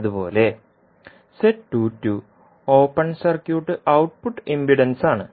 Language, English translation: Malayalam, Similarly, Z22 is open circuit output impedance